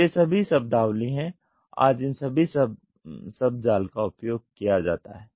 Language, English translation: Hindi, So, all these terminologies are, all these jargon words are used today